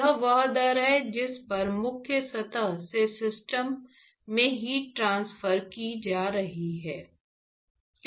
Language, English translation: Hindi, That is the rate at which heat is being transferred from the leading surface to the system